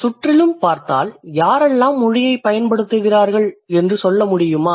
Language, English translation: Tamil, If you look around, could you tell me who actually uses language